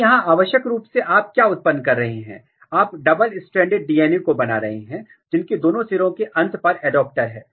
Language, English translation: Hindi, So, essentially what you are generating, you are generating double stranded DNA fragments with adapter at both the end